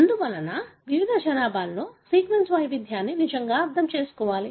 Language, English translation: Telugu, Therefore, one need to really understand the sequence variation in various population